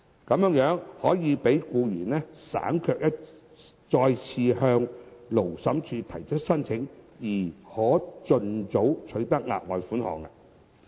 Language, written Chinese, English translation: Cantonese, 在這個安排下，僱員可無須再次向勞審處提出申請，而盡早取得額外款項。, Under this arrangement the employee will be spared the need to file another application to the Labour Tribunal and will obtain the further sum the soonest possible